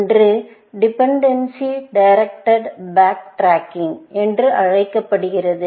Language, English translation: Tamil, One is called Dependency Directed Back Tracking